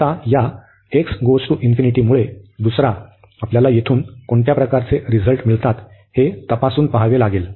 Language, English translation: Marathi, The second one now because of this x infinity, we have to test that what type of result we get from here